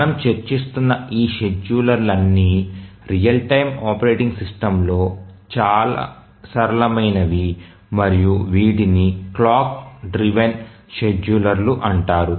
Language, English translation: Telugu, So, all these schedulers that we are looking at are at the simplest end of the real time operating systems and these are called the clock driven schedulers